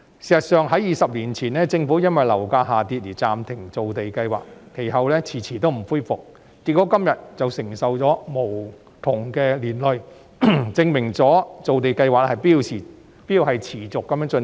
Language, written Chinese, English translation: Cantonese, 事實上，政府在20年前因為樓價下跌而暫停造地計劃，其後遲遲未恢復，結果今天便因而承受無窮的苦果，證明造地計劃必須持續進行。, In fact 20 years ago the Government suspended land creation projects due to the fall in property prices and has not resumed them ever since resulting in the immeasurable repercussions being suffered today . It proves that land creation projects must be undertaken on an ongoing basis